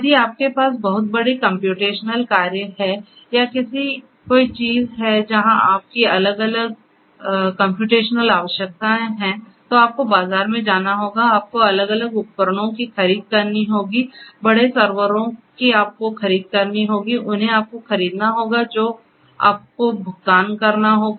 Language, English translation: Hindi, That if you have a you know huge computational job or you know something where you have different computational requirements you would have to go to the market, you will have to procure the different equipments the big servers you will have to procure you have to buy them you have to pay money upfront and then install them and then you will be able to use those equipments